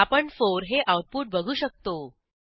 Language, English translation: Marathi, We can see the output as 4